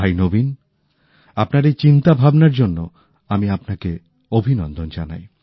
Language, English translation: Bengali, Bhai Naveen, I congratulate you on your thought